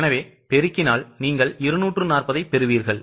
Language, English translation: Tamil, So, you get 240